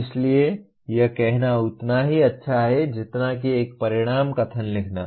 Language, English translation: Hindi, So it is as good as saying that write an outcome statement